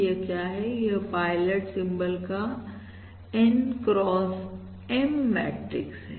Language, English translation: Hindi, this is an N x M matrix of pilot symbols